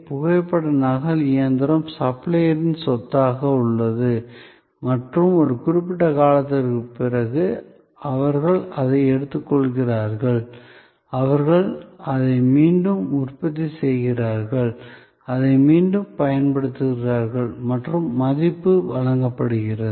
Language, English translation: Tamil, And the photocopy machine remains the property of the supplier and after a certain time of life, they take it, they remanufacture it, and reuse it and the value is provided